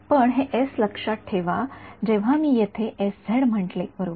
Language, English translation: Marathi, But remember this s when I said this s z over here right